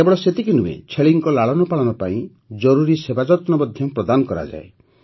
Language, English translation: Odia, Not only that, necessary services are also provided for the care of goats